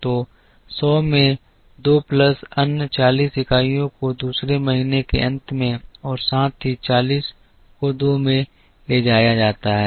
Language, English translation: Hindi, So, 100 into 2 plus another 40 units are carried at the end of the second month so plus 40 into 2